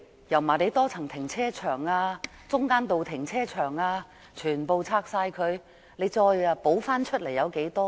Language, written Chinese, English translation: Cantonese, 油麻地多層停車場、中間道停車場等全部拆掉後，補充的又有多少？, After the demolition of buildings such as the Yau Ma Tei Multi - storey Carpark Building and the Middle Road Carpark Building how many parking spaces have been reprovisioned?